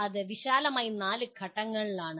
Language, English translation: Malayalam, That is broadly the 4 stages